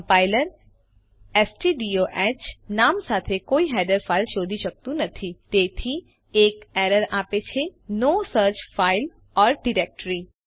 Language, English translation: Gujarati, The compiler cannot find a header file with the name stdiohhence it is giving an error no such file or directory